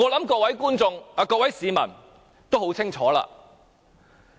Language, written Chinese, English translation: Cantonese, 我想各位市民都很清楚。, I think the public have a very clear picture